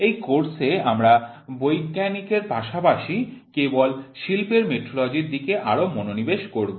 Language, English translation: Bengali, In this course we will be more focus towards scientific as well as industrial metrology only